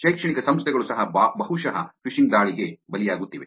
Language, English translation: Kannada, Even academic institutes probably are victims of phishing attacks